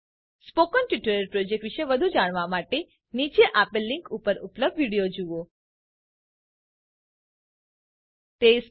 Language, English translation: Gujarati, To know more about the Spoken Tutorial project, watch the video available at the spoken tuitorial.org/what is a spoken tuitorial